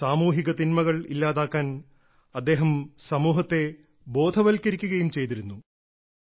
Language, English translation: Malayalam, He also made the society aware towards eliminating social evils